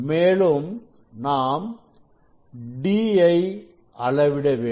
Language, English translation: Tamil, we can actually in the measurement of D